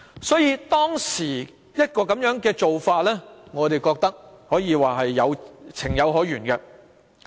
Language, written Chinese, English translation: Cantonese, 所以，當時的做法我們覺得是情有可原。, Therefore we find the practice acceptable at that time